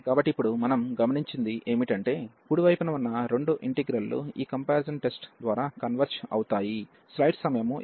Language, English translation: Telugu, So, what we have observed now here that both the integrals on the right hand side, they both converges by this comparison test